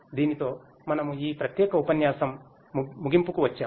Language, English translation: Telugu, With this we come to an end of this particular lecture